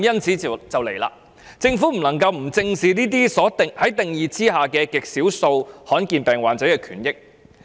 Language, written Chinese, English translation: Cantonese, 其實，政府不能夠不正視這些在定義下極少數罕見疾病患者的權益。, In fact the Government cannot disregard the rights and interests of rare disease patients despite their small number